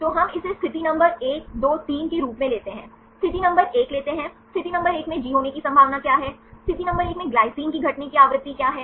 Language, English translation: Hindi, So, we take this as position number 1 2 3, take the position number 1, what is a probability of having G in position number 1, what is the frequency of occurrence of glycine in position number 1